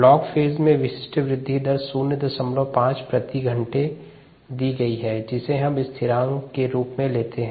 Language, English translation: Hindi, the specific growth rate in the log phase is given as point five, hour inverse, which we are taking into the constant